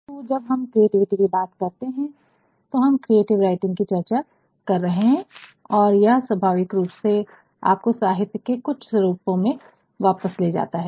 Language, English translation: Hindi, But, when we talk about creativity per se we are actually going to discuss creative writing and this naturally takes you back to some of the forms of literature